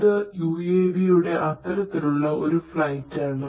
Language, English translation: Malayalam, So, this is an example of an UAV and this is an example of a UAV